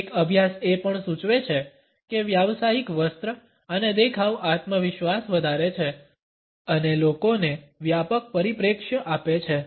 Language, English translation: Gujarati, A study also indicate that a professional dress and appearance increases confidence and imparts a broader perspective to people